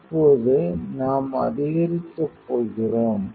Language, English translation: Tamil, So, it will have to increase